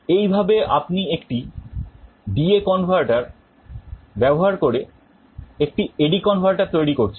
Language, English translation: Bengali, This is how you are implementing an A/D converter using a D/A converter